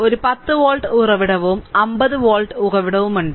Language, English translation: Malayalam, So, we have one 10 volt source, and we have one 50 volt source